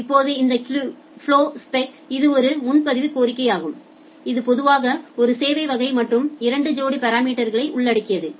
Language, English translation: Tamil, Now this flowspec it is a reservation request it generally includes a service class and two sets of numeric parameter